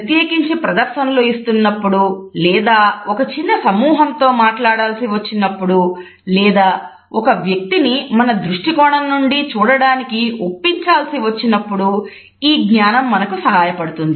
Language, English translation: Telugu, And this understanding is very helpful particularly when we have to make presentations or when we have to talk to people in a small group or we want to persuade somebody to look at things from our perspective